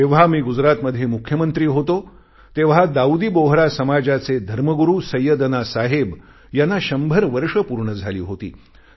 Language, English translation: Marathi, When I was Chief Minister of Gujarat, Syedna Sahib the religious leader of Dawoodi Bohra Community had completed his hundred years